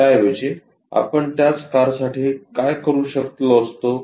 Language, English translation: Marathi, Instead of that, what we could have done what we could have done for the same car